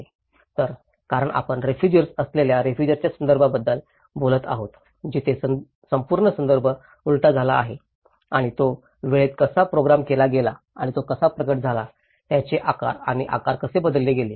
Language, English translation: Marathi, So, here because we are talking about the refugee context under displacement where the whole context has been reversed out and how it is programmed in time and how it has been manifested, how it has been shaped and reshaped